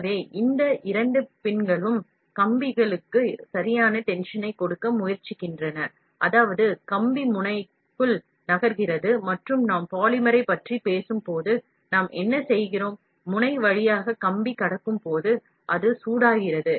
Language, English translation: Tamil, So this, these two pins tallest tried to give a proper tension to the wire, such that the wire moves inside the nozzle and when we are talking about polymer, what we do is, when the wire is passed through the nozzle, it is heated